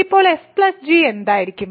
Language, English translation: Malayalam, So, what would be f plus g